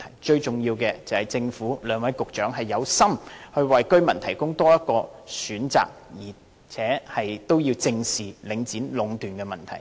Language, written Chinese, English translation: Cantonese, 最重要的是政府和兩位局長有心為居民提供多一個選擇，並且正視領展壟斷的問題。, The key lies in the Government and the two Directors of Bureau being genuinely committed to providing an additional choice to the residents and addressing squarely the problem of monopolization by Link REIT